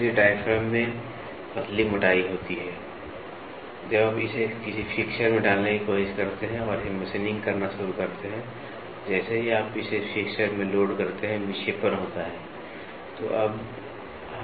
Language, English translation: Hindi, So, in diaphragm they are all thin thickness, so when you try to put it in a fixture and start machining it, moment you load it in a fixture, the deflection happens